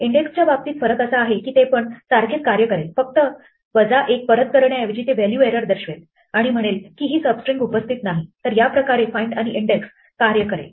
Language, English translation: Marathi, The difference with index is that if I give index the same thing instead of a minus 1 it gives me a value error saying the substring does not occur right this is how find and index work